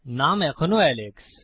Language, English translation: Bengali, The name is still Alex